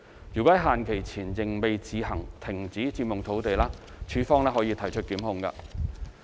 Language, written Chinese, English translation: Cantonese, 若於限期前仍未自行停止佔用土地，署方可提出檢控。, If the occupation of land does not cease by the deadline LandsD may instigate prosecution